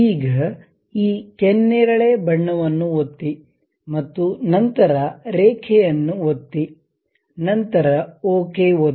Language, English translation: Kannada, Now, click this magenta one and then click the line and then click ok